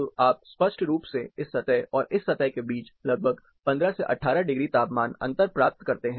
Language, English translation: Hindi, So, you clearly get around 15 to 18 degrees temperature difference, between this surface and this surface